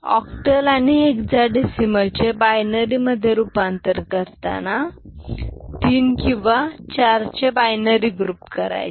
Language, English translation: Marathi, And octal hexadecimal to binary relationship I mean, it considers grouping of 3 or 4 binary digits